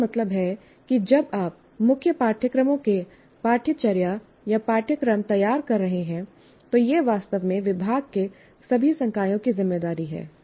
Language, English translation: Hindi, That means when you are designing the curriculum or syllabus or courses of your core courses, it is actually the responsibility for all the faculty of the department